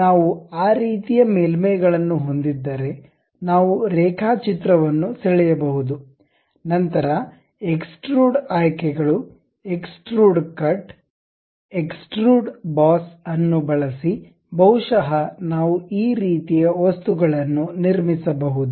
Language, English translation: Kannada, If we have that kind of surfaces, we will be in a position to draw a sketch; then use extrude options, extrude cut, extrude boss, perhaps fillet this kind of objects we can really construct it